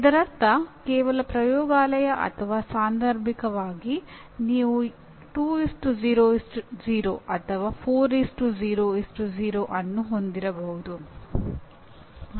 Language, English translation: Kannada, That means a standalone laboratory or occasionally you may have 2:0:0 or even 4:0:0